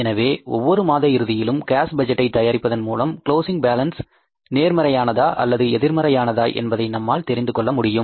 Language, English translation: Tamil, So, at the end of every month while preparing the cash budget you will come to know our cash balance is positive or negative